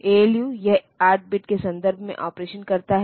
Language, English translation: Hindi, And this ALU it does operations in 8 bit, 8 in in terms of 8 bits